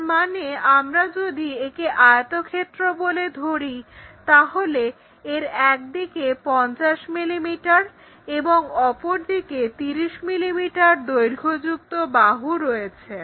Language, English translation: Bengali, That means, if we are taking this one as the rectangle, let us consider it has maybe 50 mm on one side, 30 mm on one side